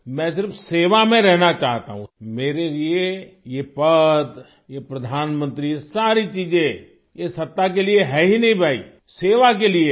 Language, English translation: Hindi, I only want to be in service; for me this post, this Prime Ministership, all these things are not at all for power, brother, they are for service